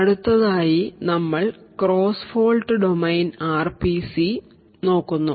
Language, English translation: Malayalam, So next we will look at the cross fault domain RPCs